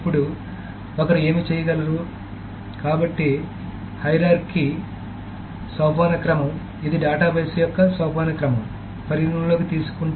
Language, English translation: Telugu, Now, what one may do is that, so the hierarchy, so this takes into account the hierarchy of the database